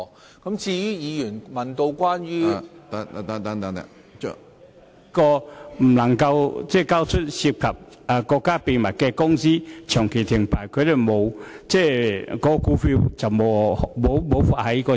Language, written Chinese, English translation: Cantonese, 有公司由於未能交出涉及國家機密的帳目而遭長期停牌，無法在市場上出售股票套現。, The persistent trading suspension imposed on certain companies for failing to produce accounts involving state secrets has made it impossible for them to cash out by selling their shares on the market